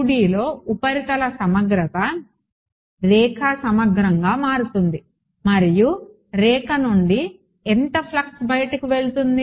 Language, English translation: Telugu, In 2D a surface integral will become a line integral and how much flux is going out of the line ok